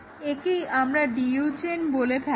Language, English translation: Bengali, This we call it as a DU chain